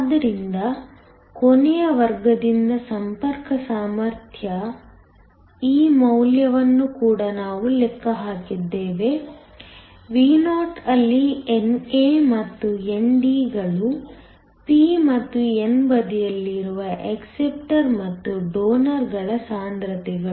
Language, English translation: Kannada, So, we also calculated this value of the contact potential from last class; Vo where NA and ND are the concentrations of acceptors and the donors on the p and n side